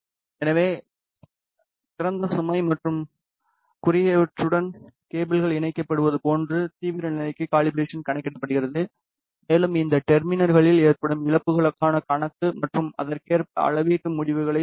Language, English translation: Tamil, So, the calibration accounts for the extreme condition like when the cables are connected to open load and the short, and the account for the losses in these terminals and then accordingly it adjust the measurement results